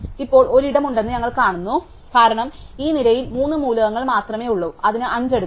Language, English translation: Malayalam, Now we see that there is a space, because there are only three elements in this row and it can take 5